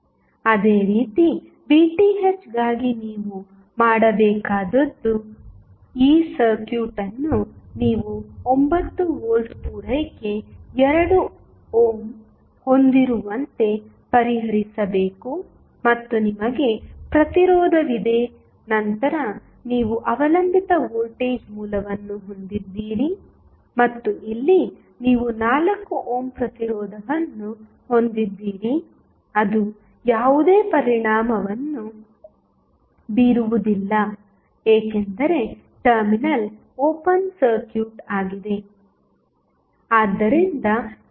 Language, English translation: Kannada, Similarly, for Vth what you have to do you have to just solve this circuit where you have 9 volt supply 2 ohm and you have resistance then you have dependent voltage source and here you have 4 ohm resistance which does not have any impact because the terminal is open circuited